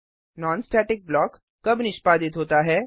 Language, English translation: Hindi, When is a non static block executed